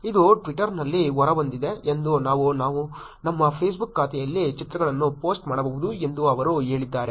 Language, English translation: Kannada, This came out on Twitter and they said that we can actually post the pictures on our Facebook account